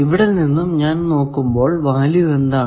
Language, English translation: Malayalam, Now, from here, if I want to look, what will be the value